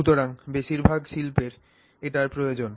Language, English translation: Bengali, So, much of the industry requires this